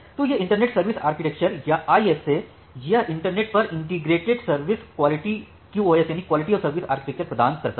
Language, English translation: Hindi, So, this internet service architecture or ISA, it provides integrated service QoS architecture over the internet